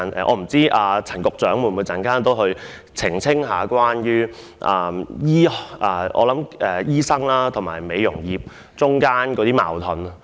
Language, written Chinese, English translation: Cantonese, 我不知道陳局長稍後會否澄清醫學界與美容業界之間的矛盾。, I do not know if Secretary Prof Sophia CHAN will later on make a clarification on the conflict between the medical profession and the beauty industry